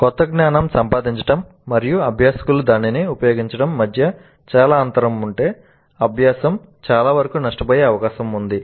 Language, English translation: Telugu, If there is a long gap between the acquisition of the new knowledge and the application of that by the learners the learning is most likely to suffer